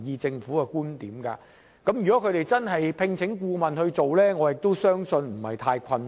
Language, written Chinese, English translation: Cantonese, 如果當局願意聘請顧問進行研究，我相信不會很困難。, If the Administration is willing to commission consultants to examine the issue I believe it is not that difficult